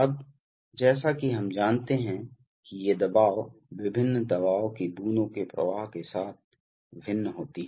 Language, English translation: Hindi, That now, as we know that these pressure, various pressures drops vary with flow itself